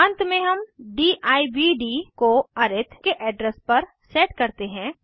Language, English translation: Hindi, Here we set subt to the address of arith